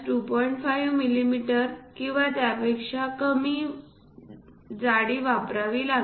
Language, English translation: Marathi, 5 millimeters or lower than that